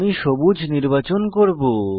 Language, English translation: Bengali, I will select green colour